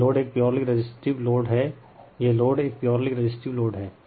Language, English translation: Hindi, This load is a purely resistive load right, this is a purely resistive load